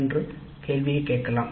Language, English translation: Tamil, We can also ask a question